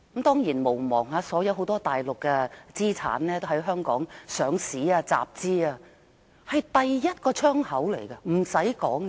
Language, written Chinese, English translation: Cantonese, 當然，別忘了有不少大陸的資產也在香港上市集資，因為香港是第一個窗口，這點已不在話下。, Of course do not forget that many Mainland assets have chosen to list on the Hong Kong stock market because Hong Kong is the first window for them to go global